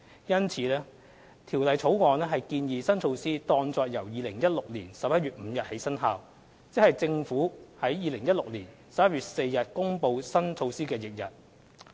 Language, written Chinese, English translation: Cantonese, 因此，《條例草案》建議新措施當作由2016年11月5日起生效，即政府於2016年11月4日公布新措施的翌日。, For this reason the Bill proposes that the New Residential Stamp Duty be deemed to have taken effect on 5 November 2016 the day immediately following the announcement on 4 November 2016